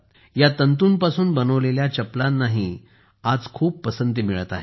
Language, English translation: Marathi, Chappals made of this fiber are also being liked a lot today